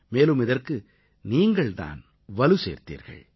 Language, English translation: Tamil, And, you have been the ones who strengthened that